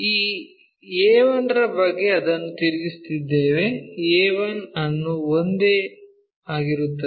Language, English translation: Kannada, About a 1 we are rotating it, keeping a 1 remains same